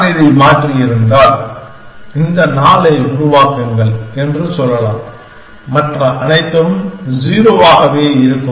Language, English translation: Tamil, Then if I have changed this one, I could say that make this 4, everything else remains 0